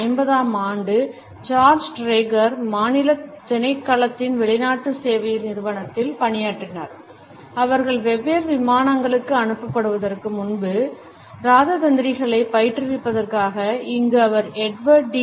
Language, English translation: Tamil, During the 1950 George Trager was working at the foreign service institute of the department of state, in order to train diplomats before they were posted to different planes and here he was working with Edward T